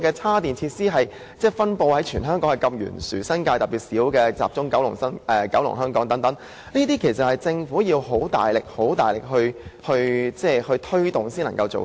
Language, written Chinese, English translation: Cantonese, 充電設施在香港的分布懸殊，新界數量特別少，只集中於九龍和香港，政府確實需要大力推動才可做到。, The distribution of charging facilities in Hong Kong varies greatly . The New Territories has the least number of charging facilities . Most of them are located in Kowloon and Hong Kong Island